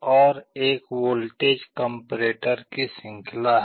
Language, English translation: Hindi, And there are a series of voltage comparators